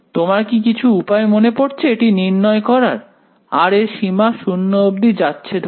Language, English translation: Bengali, Is there some does are you reminded of some way of evaluating this limit as r tends to 0